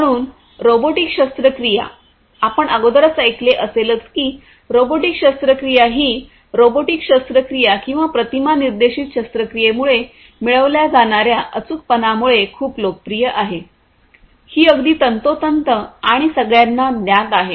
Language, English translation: Marathi, So, robotic surgery, you know, already probably you must have heard that robotic surgery is very popular because of the precision, precision in surgery that can be obtained using robotic surgery or image guided surgery, these are very precise and know